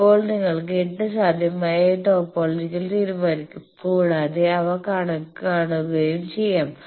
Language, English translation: Malayalam, Now, you can decide 8 possible topologies and so this you see that if you choose